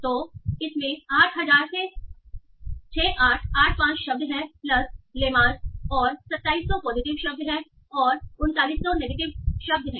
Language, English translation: Hindi, So it contains around 6,885 words from 8,000 plus lemas and 2,700 are positive and 4900 are negative